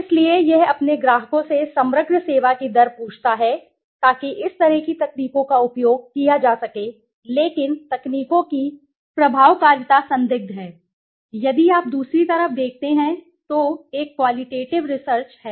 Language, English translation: Hindi, Right so it asks his customers rate the overall service right so such techniques can be used but the efficacy of techniques are questionable, another is if you look at the other side is a qualitative research